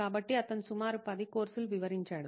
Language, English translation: Telugu, So he enumerated about 10 courses